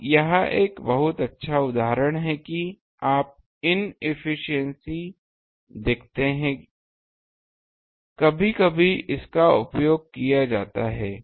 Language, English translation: Hindi, Now this is an very good example that you see inefficiency sometimes are used ah